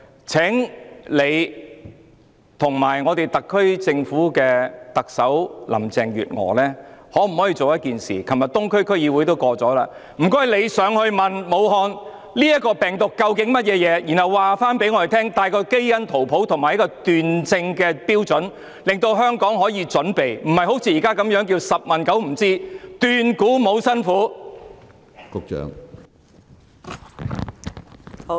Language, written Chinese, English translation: Cantonese, 請局長及特首林鄭月娥做一件事，昨天東區區議會通過了議案，請她們去武漢問明這究竟是甚麼病毒，然後告訴我們它的基因圖譜及斷症標準，讓香港可以作出準備，而不是好像現時般"十問九不知，斷估無辛苦"！, A motion was passed by the Eastern District Council yesterday urging them to go to Wuhan to find out more about this virus and then tell us its genome and diagnostic criteria so that Hong Kong can make preparations instead of remaining ignorant and relying on conjecture